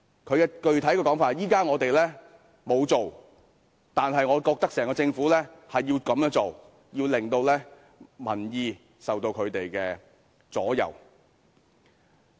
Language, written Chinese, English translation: Cantonese, 他的具體說法是現在他們沒有這樣做，但是他覺得整個政府應這樣做，要令民意受到他們的左右。, Specifically he said that now they have not done so but in his view the whole Government should do that to subject public opinion under their manipulation